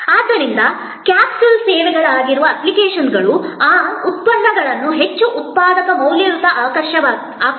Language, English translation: Kannada, So, the apps, which are capsule services make those products, so much more productive valuable attractive